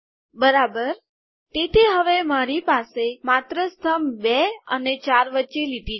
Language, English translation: Gujarati, Okay, so now I have the line between columns two and four only